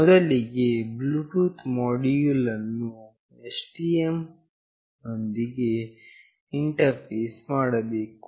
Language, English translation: Kannada, First of all the Bluetooth module have to be interfaced with the STM